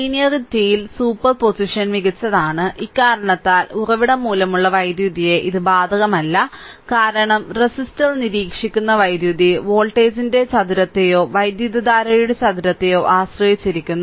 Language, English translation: Malayalam, Superposition is best on linearity and the and this reason it is not applicable to the effect on power due to the source, because the power observed by resistor depends on the square of the voltage or the square of the current